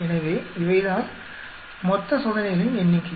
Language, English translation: Tamil, So, these are the total number of experiments